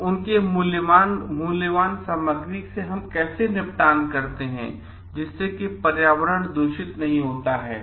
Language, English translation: Hindi, So, their valuable materials how do we dispose it and at the end of the useful life so that the environment does not get polluted